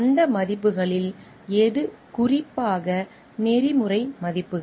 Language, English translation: Tamil, Which of those values are specifically ethical values